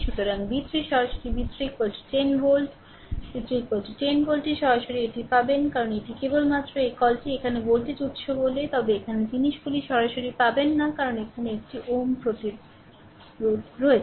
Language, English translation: Bengali, So, v 3 directly you will get v 3 is equal to 10 volt right v 3 is equal to 10 volt directly you will get it because this is the only your what you call that voltage source here, but here here you will you will not get the things directly right because here one ohm resistance is there